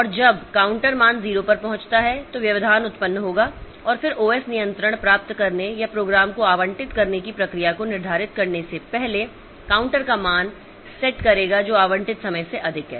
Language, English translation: Hindi, And when the counter reaches value zero interrupt will be generated and then the OS will set up the value of the counter before scheduling a process to regain control or terminate program that exceeds the allotted time